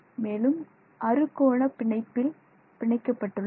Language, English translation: Tamil, But between them they are all hexagonally bonded